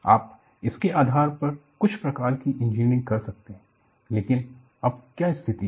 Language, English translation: Hindi, You could do some kind of an engineering based on this, but what is the situation now